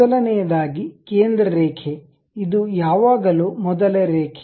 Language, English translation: Kannada, First of all a centre line, this is always be the first line ok